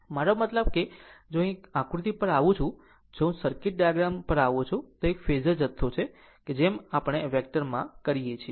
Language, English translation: Gujarati, I mean if, I come to the diagram let me clear it , if, I come to the circuit diagram if I come to the circuit diagram it is a Phasor quantity that we do vector same thing